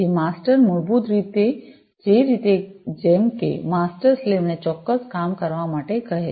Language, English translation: Gujarati, So, masters basically in the same way as masters ask the slaves to do certain work